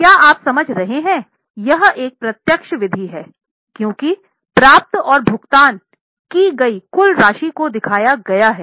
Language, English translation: Hindi, This is a direct method because the total amount of cash received and paid is shown